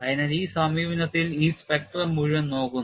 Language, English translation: Malayalam, So, this whole spectrum is looked at, in this approach